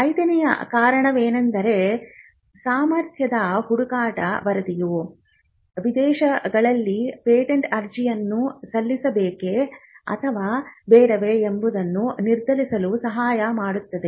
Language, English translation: Kannada, The fifth reason could be that the patentability search report can help you to be determine whether to file foreign applications